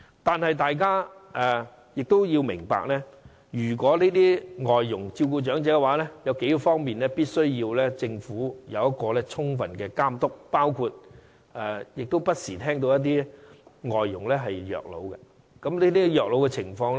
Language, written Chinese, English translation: Cantonese, 然而，大家也要明白，如果這些外傭是照顧長者的話，政府必須在數方面充分監督，因為我們不時也聽到有外傭虐老的個案。, Yet we understand that if these foreign domestic helpers are to take care of the elderly the Government must effect proper monitoring in several aspects for we have learnt about elderly people being abused by foreign domestic helpers from time to time